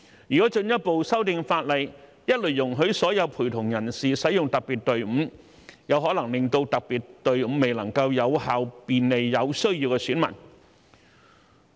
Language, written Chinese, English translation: Cantonese, 如果進一步修訂法例，一律容許所有陪同人士使用特別隊伍，有可能令特別隊伍未能有效便利有需要的選民。, If the legislation is further amended to allow all accompanying persons to use the special queue across the board the special queue may become ineffective in terms of facilitating electors in need